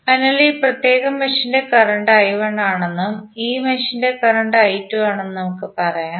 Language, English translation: Malayalam, So, let us say that in this particular mesh the current is I 1, in this mesh is current is I 2